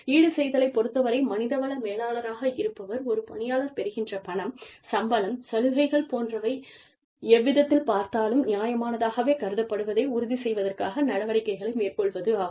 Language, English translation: Tamil, So, as far as compensation is concerned, the human resources manager, can take active steps to ensure that the, money, that the person receives, the salary, the benefits, the perks, that the employee receives, are considered to be fair, by the employee, in every way, possible